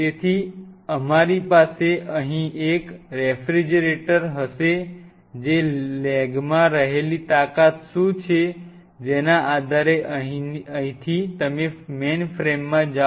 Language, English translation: Gujarati, So, we will have one refrigerator out here depending on what is a strength off the lag now from here you move to the mainframe out here